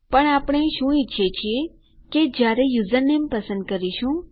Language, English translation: Gujarati, But, what we want is, when we are choosing the username..